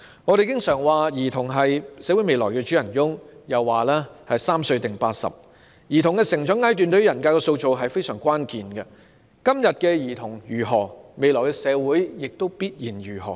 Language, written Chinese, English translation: Cantonese, 我們經常說兒童是社會未來的主人翁，又說"三歲定八十"，兒童的成長階段對於人格的塑造非常關鍵，今天的兒童如何，未來社會也必然如何。, We often say that children are the future masters of society and there is also the saying that the child is the father of the man . Childrens growth stage is very crucial to the shaping of their personalities . Children nowadays will certainly determine how the future society is